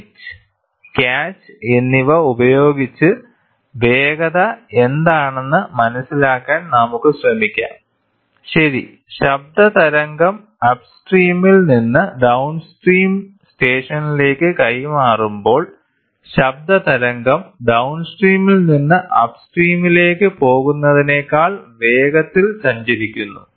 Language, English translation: Malayalam, So, with the pitch and catch we can try to figure out what is the velocity, right, when the sound wave is transmitted from the upstream to the downstream station, the sound wave travels faster than going from downstream to upstream